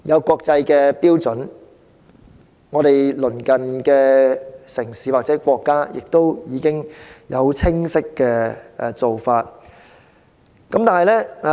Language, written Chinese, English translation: Cantonese, 國際標準早已制訂，而香港的鄰近城市或國家亦已有清晰做法。, An international standard has already been formulated and the cities or countries near Hong Kong have likewise put in place their own practices